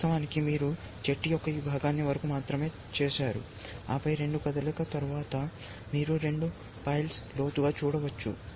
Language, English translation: Telugu, Originally you have seen only till this part of the tree, and then after two moves, you can see two plies deeper